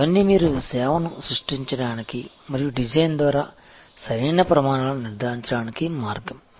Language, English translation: Telugu, All these are way you can actually create the service and ensure proper standards by the design